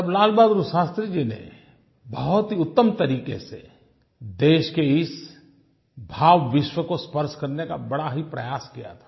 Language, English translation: Hindi, Then, Lal Bahadur Shashtri Ji had very aptly tried to touch the emotional universe of the country